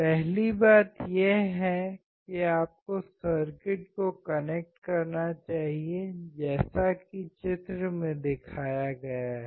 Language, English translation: Hindi, The first thing is you should connect the circuit as shown in figure